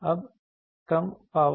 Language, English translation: Hindi, Now low power